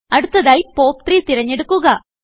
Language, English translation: Malayalam, Next, select POP3